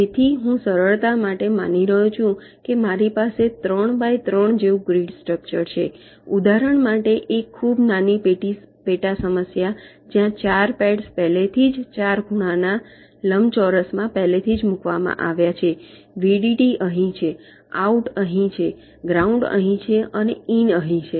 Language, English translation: Gujarati, so i am assuming, for simplicity, that i have a three by three grid like structure a very small sub problem for illustration where the four pads are already p pre placed in the four corner rectangles: vdd is here, out is here, ground is here and in is here